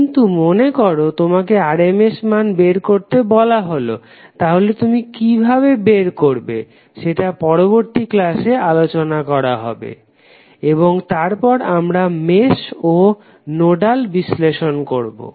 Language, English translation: Bengali, But suppose if you are asked to find out the RMS value how you will find that we will discuss in the next class and then we will continue with our discussion on Mesh and Nodal analysis